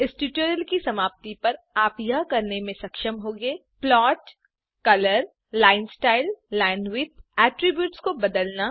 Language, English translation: Hindi, At the end of this tutorial, you will be able to, Modify the attributes of the plot color, line style,linewidth